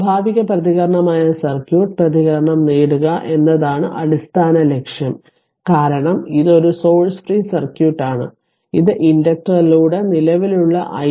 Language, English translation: Malayalam, Basic objective is to obtain the circuit response which will be natural response, because this is a source free circuit which will assume to be the current i t through the inductor